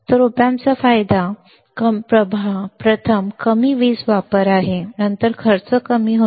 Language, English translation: Marathi, So, the advantage of op amp is first is low power consumption, then cost is less